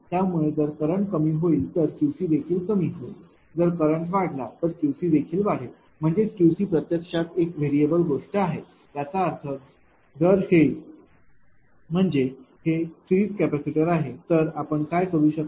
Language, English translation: Marathi, So, if the current ah decreases then Q c will decrease if current increases Q c will increase; that means, this Q c actually it is a variable thing so; that means, if ah this this; that means, this series capacitor what you can do is